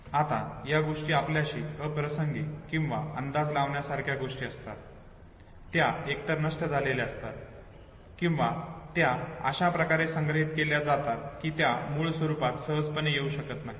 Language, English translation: Marathi, Now things which are irrelevant to us or details which are predictable they are either destroyed or they are stored in such a way that it is not readily accessible in its original form